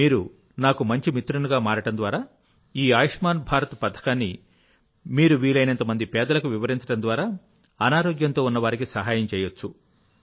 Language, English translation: Telugu, So Rajesh ji, by becoming a good friend of mine, you can explain this Ayushman Bharat scheme to as many poor people as you can